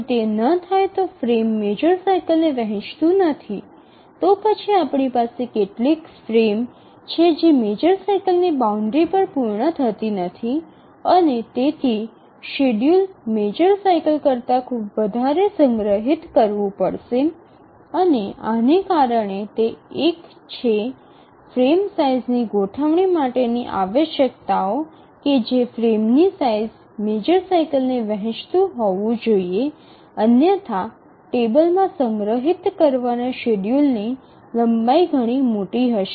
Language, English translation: Gujarati, If it doesn't, the frame doesn't divide the major cycle, then we have some frame which does not complete at the major cycle boundary and therefore the schedule has to be stored much larger than the major cycle and that is the reason why one of the requirements for setting of the frame size is that the frame size must divide the major cycle